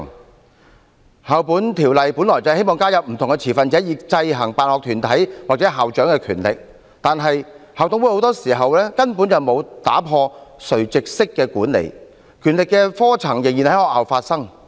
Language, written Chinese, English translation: Cantonese, 《2004年教育條例》本來希望加入不同的持份者，以制衡辦學團體或校長的權力，但校董會很多時候根本沒有打破垂直式的管理，權力的科層仍然在學校發生。, The Education Amendment Ordinance 2004 was originally intended to introduce various stakeholders to check the powers of sponsoring bodies or principals but in many cases IMCs have failed to smash vertical management . The hierarchy of authority is still present at schools